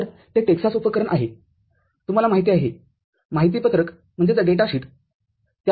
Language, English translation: Marathi, So, that is the Texas Instrument, you know, the data sheet from that the circuit has been shown